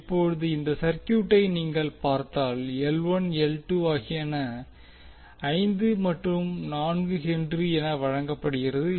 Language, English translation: Tamil, Now if you see this particular circuit the L 1 L 2 are given as H 4 and H 4, 5 and 4 Henry